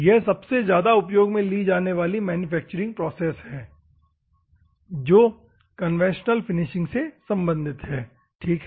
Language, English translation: Hindi, It is one of the most used manufacturing processes in terms of conventional finishing is concern grinding comes at first, ok